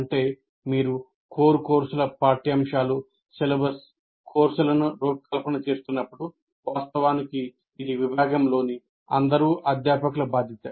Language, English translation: Telugu, That means when you are designing the curriculum or syllabus or courses of your core courses, it is actually the responsibility for all the faculty of the department